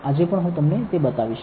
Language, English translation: Gujarati, I will show it to you today as well